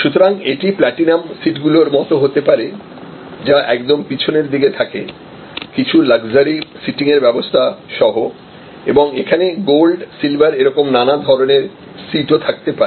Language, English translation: Bengali, So, it could be like the platinum seats, which are right at the back with some luxury seating arrangement and there could be gold, silver and that sort of different types of seats